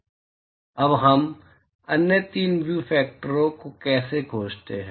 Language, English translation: Hindi, How do we find the other three view factors now